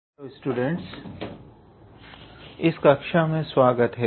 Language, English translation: Hindi, Hello students, so welcome to this class